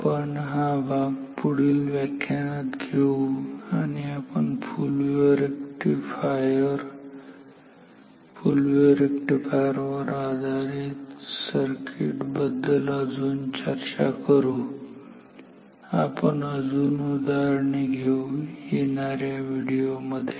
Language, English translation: Marathi, We will continue with this topic and we will discuss about more about say full wave rectifiers, full wave rectifier based circuits we will deal with more problems, examples in coming videos